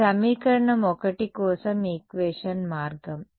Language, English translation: Telugu, This was equation the route for equation 1